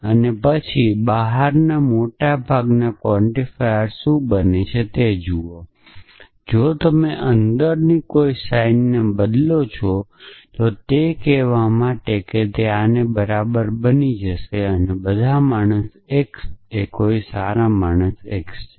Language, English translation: Gujarati, And then look at what is outer most quantifier essentially if you push a negation sign inside it would become equivalent to saying that for all x naught divine x